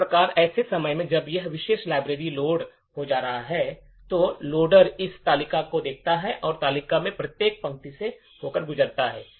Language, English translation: Hindi, Thus, at a time when this particular library gets loaded, the loader would look into this table and passed through each row in this table